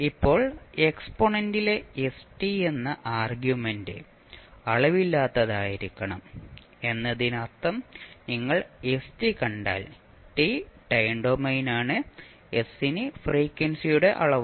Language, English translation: Malayalam, Now, since the argument st of the exponent should be dimensionless that means that if you see st, one t is the time domain, so s would be the dimension of frequency